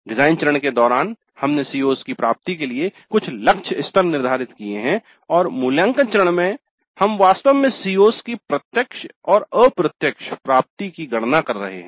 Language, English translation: Hindi, So, during the design phase we have set certain target levels for the attainment of the COs and in the evaluate phase we are actually computing the direct and indirect attainment of COs